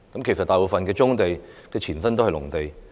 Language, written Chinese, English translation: Cantonese, 其實大部分棕地的前身都是農地。, In fact most brownfield sites were agricultural land previously